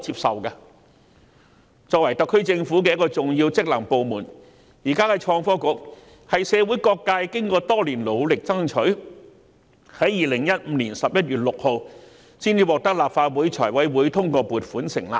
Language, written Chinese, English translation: Cantonese, 創新及科技局作為特區政府的重要職能部門，是經過社會各界多年努力爭取，才於2015年11月6日獲立法會財務委員會通過撥款成立。, Being an important functional department of the SAR Government the Innovation and Technology Bureau was established when its funding was approved by the Finance Committee of the Legislative Council on 6 November 2015 after years of considerable efforts made by all sectors of society